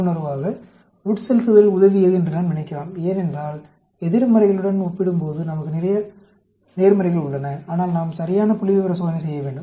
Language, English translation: Tamil, Intuitively, we may think that infusion has helped, because we have lot of positives coming when compared to the negatives, but we need to do a proper statistical test